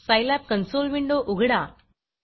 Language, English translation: Marathi, Now open your Scilab console window